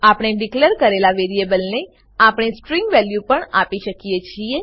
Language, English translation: Gujarati, We can also assign a string value to the variable we declared